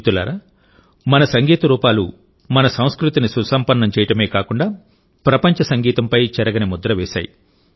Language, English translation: Telugu, Friends, Our forms of music have not only enriched our culture, but have also left an indelible mark on the music of the world